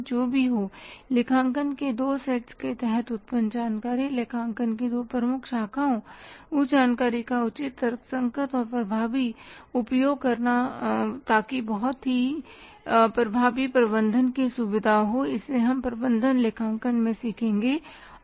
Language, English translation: Hindi, Whatever the information is generated under the two sets of accounting two major branches of accounting making the proper and rational and effective utilization of that information so that very effective management decision making can be facilitated that we will be learning under the management accounting